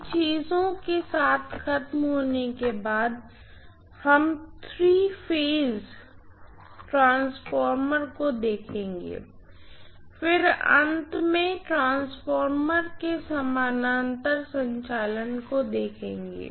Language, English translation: Hindi, After finishing with these things, we will also look at three phase transformers, then last but not the least will look at parallel operation of transformers